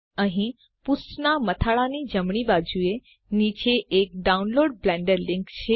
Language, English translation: Gujarati, Here is a Download Blender link right below the header of the page